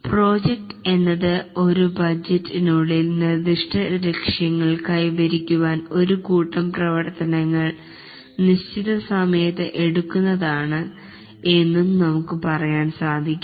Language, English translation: Malayalam, We can also say that a project is a set of activities undertaken within a defined time period in order to meet specific goals within a budget